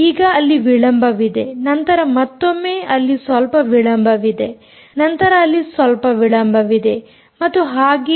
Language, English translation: Kannada, now there is a delay, then again there is some delay, then there is some delay, and so on